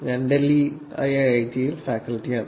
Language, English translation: Malayalam, I am faculty at IIIT, Delhi